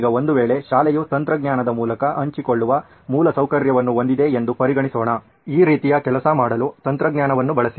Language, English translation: Kannada, Now if a school has, let’s consider a situation where school has infrastructure being shared through technology, use technology to do something like this